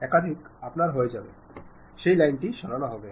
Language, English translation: Bengali, Once you are done, that line will be removed